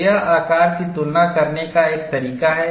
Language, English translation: Hindi, So, that is one way of comparing the shapes